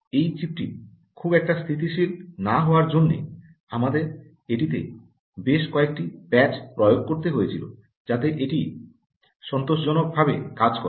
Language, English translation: Bengali, you know, as the chip was not very stable, we had to apply a number of patches in order to ensure that um ah it would work satisfactorily very soon